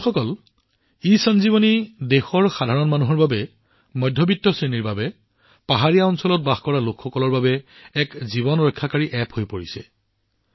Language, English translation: Assamese, Friends, ESanjeevani is becoming a lifesaving app for the common man of the country, for the middle class, for the people living in hilly areas